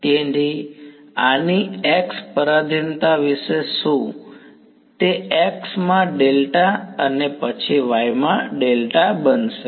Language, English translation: Gujarati, So, what about the x dependence of this, delta is going be a delta x then delta y